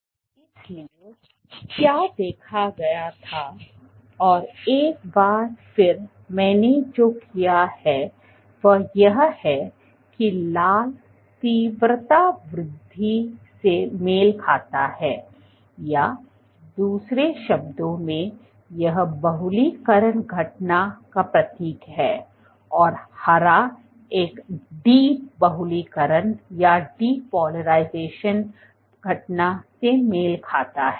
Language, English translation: Hindi, So, what was observed and then once again, what I have done red corresponds to intensity increase in other words it signifies the polymerization event and green corresponds to a de polymerization event